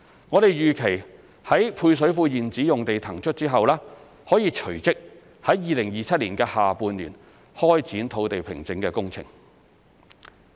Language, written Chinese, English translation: Cantonese, 我們預期於配水庫現址用地騰出後，可隨即於2027年下半年開展土地平整工程。, We expect the site formation works will commence in the second half of 2027 immediately after the existing site of the service reservoirs is released